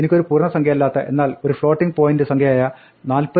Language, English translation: Malayalam, Supposing, I had number which is not an integer, but a floating point number, so it is 47